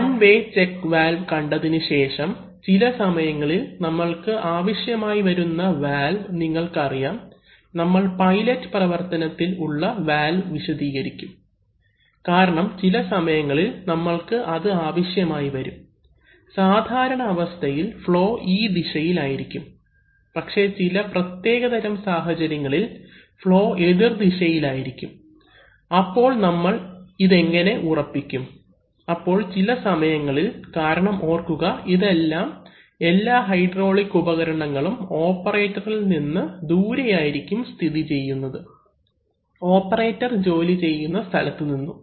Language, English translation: Malayalam, Having seen one way check valve, sometimes we need valves, you know we will demonstrate a case of pilot operated valves because sometimes we also want that, in the normal condition, it, flow will be in this direction but under certain special conditions, the flow can be made in the reverse direction also, so how do we ensure that, so sometimes we, because remember that these, all this hydraulic equipment can actually be quite far away from the operators, where the operators are working